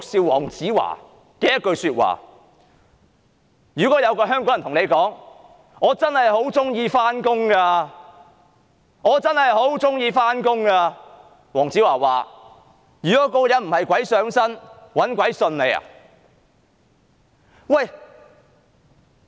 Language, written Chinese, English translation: Cantonese, 黃子華說，如果有一名香港人說"我真的很喜歡上班"，他認為這個人必定是鬼上身，否則便是"搵鬼信"。, Dayo WONG says that if a Hong Kong citizen says I really love going to work he will consider that person haunted by a ghost or else no one but the ghost will believe such a remark